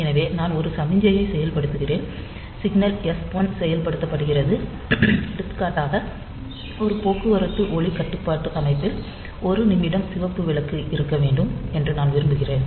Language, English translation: Tamil, So, I have activated a signal says signal s 1 is activated and I want that for example, in a traffic light controller system we want that red light should be on for say 1 minute